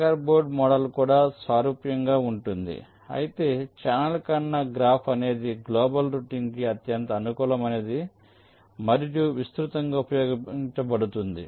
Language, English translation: Telugu, checker board model is also similar, but channel intersection graph is something which is the most suitable for global routing and is most wide used